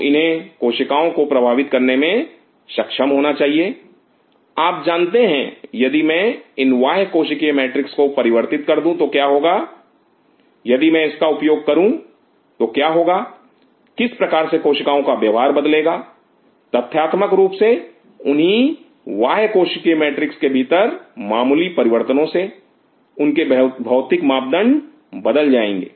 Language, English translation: Hindi, So, it should be able to play with the cells you know if I change this extra cellular matrix this is what is what is going to happen if I use this is the what is going to happen how the cell behavior changes as the matter fact within the same extra cellular matrix with slight difference their physical parameter changes